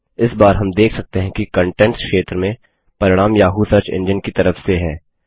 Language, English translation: Hindi, This time we see that the results in the Contents area are from the Yahoo search engine